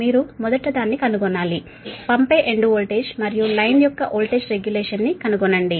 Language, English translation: Telugu, we have to find out the first one, find a, the sending end voltage and voltage regulation of the line